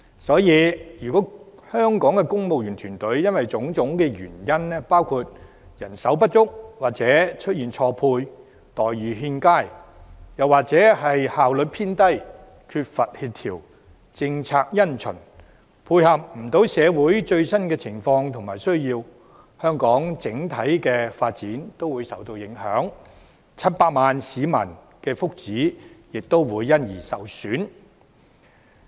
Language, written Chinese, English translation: Cantonese, 所以，如果香港的公務員團隊因為種種原因包括人手不足或錯配、待遇欠佳，又或是效率偏低、缺乏協調、政策因循等，而無法配合社會最新的情況和需要，香港整體發展均會受到影響 ，700 萬名市民的福祉亦會受損。, If the civil service of Hong Kong fails to keep abreast with the latest situation and needs of our society due to a variety of reasons like manpower shortage or mismatch poor employment terms low efficiency lack of coordination conservative policies etc the overall development of Hong Kong will be affected